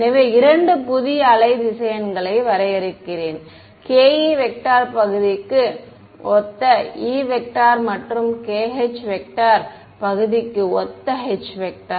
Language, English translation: Tamil, So, let me define two new wave vectors so, k e corresponding to the e part and a k h corresponding to the h part